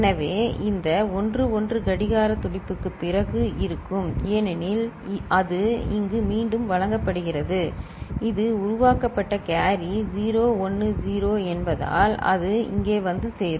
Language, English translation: Tamil, So, this 1 will be after 1 clock pulse because it is fed back here, it will come over here right since carry generated is 0 10 it is there is no carry